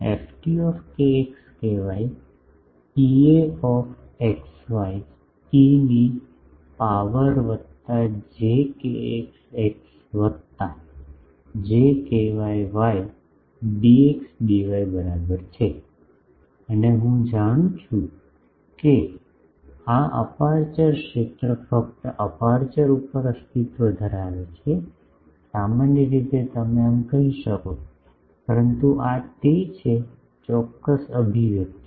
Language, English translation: Gujarati, ft kx ky is equal to E a x y e to the power plus j kx x plus j ky y dx dy and I know that, this aperture field exist only over the aperture, generally, you can say so, but this is the exact expression